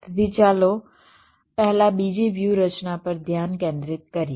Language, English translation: Gujarati, so let us concentrate on the second strategy first